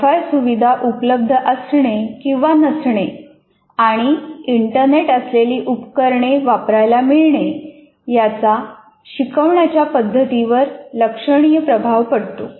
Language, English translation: Marathi, And availability or non availability of Wi Fi and access to power for internet devices will have significant influence on the type of instructional methods used